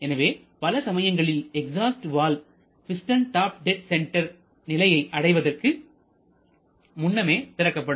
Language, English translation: Tamil, And therefore often the exhaust valve is opened before the piston reaches the top dead center